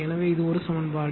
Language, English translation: Tamil, So, ah this is one equation